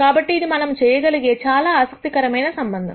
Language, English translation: Telugu, So, it is an interesting connection that we can make